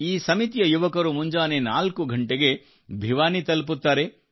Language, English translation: Kannada, The youth associated with this committee reach Bhiwani at 4 in the morning